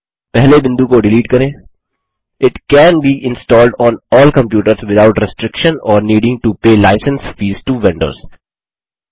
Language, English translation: Hindi, Delete the first point It can be installed on all computers without restriction or needing to pay license fees to vendors